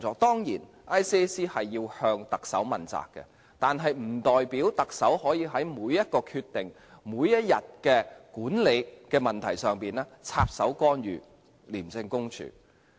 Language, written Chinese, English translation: Cantonese, 當然，廉政公署要向特首問責，但不代表特首可以在每個決定、每天管理的問題上插手干預廉政公署。, While it is certain that ICAC is accountable to the Chief Executive it does not mean that the Chief Executive can interfere in the decision - making of and the problems managed by ICAC in its daily operation